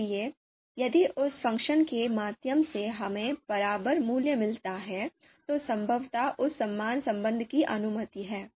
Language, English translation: Hindi, So if through that function we get the equivalent value, then probably that equivalence relation is, that equal relation is allowed